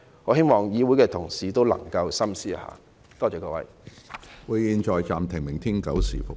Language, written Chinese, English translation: Cantonese, 我希望議會的同事能夠深思一下，多謝各位。, I do hope Members of this Council will reflect on this . Thank you